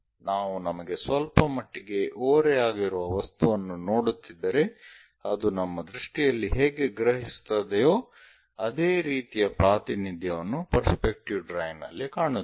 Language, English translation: Kannada, If we are looking a object which is slightly incline to us how it really perceives at our eyes this similar kind of representation we go with perspective drawing